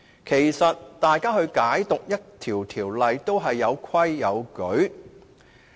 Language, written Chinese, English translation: Cantonese, 其實，大家解讀條例都應有規有矩。, Actually we should follow rules in interpreting laws